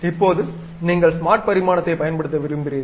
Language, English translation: Tamil, Now, you want to use smart dimension